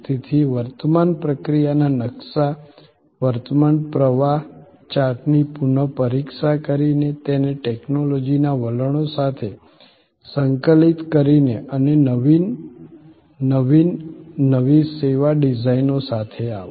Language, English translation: Gujarati, So, engage with a service redesign by re examining the current process map, the current flow chart, integrating it with technology trends and come up with a new innovative, new service design